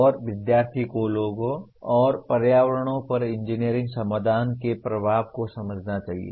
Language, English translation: Hindi, And student should understand the impact of engineering solutions on people and environment